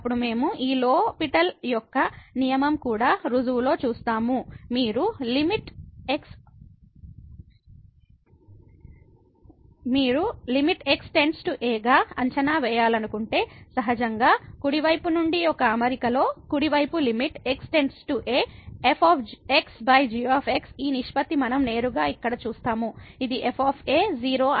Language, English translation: Telugu, Then we will see in the proof of this L’Hospital’s rule that if you want to evaluate the limit as goes to , naturally in the setting a from the right hand side the limit the right limit as goes to a over this ratio which directly we see here which says is